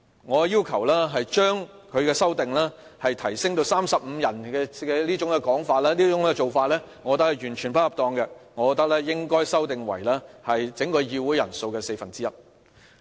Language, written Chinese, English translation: Cantonese, 我認為廖議員修訂呈請人數提升至35人這種做法完全不恰當，我認為應修訂為整個議會人數的四分之一。, First about the threshold of supporting a petition I maintain that Mr Martin LIAOs proposed amendment which seeks to increase the number of supporting Members to 35 is totally inappropriate . I maintain that the number should be reduced to one quarter of all Members of the Council